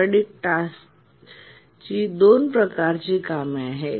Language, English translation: Marathi, So, there are two types of sporadic tasks